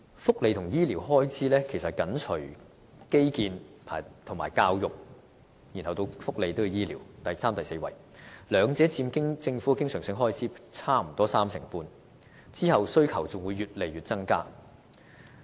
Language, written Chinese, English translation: Cantonese, 福利和醫療開支其實是緊隨基建和教育，即第三和第四位便是福利和醫療，兩者佔政府經常性開支約三成半，往後的需求只會不斷增加。, Social welfare and health in fact closely follow infrastructure and education in terms of government expenditure respectively incurring the third and the fourth highest expenditure by policy area group and together accounting for around 35 % of government recurrent expenditure . The demand in these policy areas will certainly increase continuously